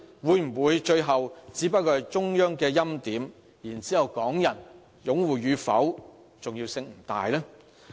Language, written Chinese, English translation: Cantonese, 會否最後只是中央欽點，然後港人擁護與否的重要性不大呢？, Will it turns out that preordination by the Central Authorities is all that matters while the support of Hong Kong people carries no weight?